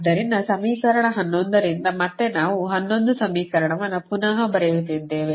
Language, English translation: Kannada, this is your equation eleven, the same equation we are actually re writing